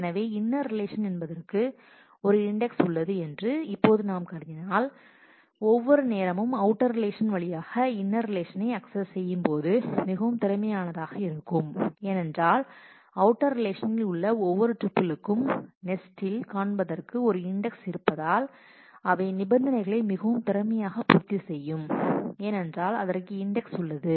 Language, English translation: Tamil, So, if we now assume that we have an index available on the inner relation then every time we go with the outer relation will be able to access the inner relation very efficiently because for each tuple in the outer relation the index to look up the tuples in nests will satisfy the condition will be found very efficiently because they are index